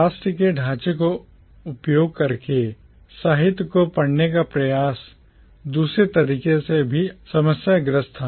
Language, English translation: Hindi, The attempt to read literature by using national framework was also problematic in another way